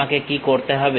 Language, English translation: Bengali, What I have to do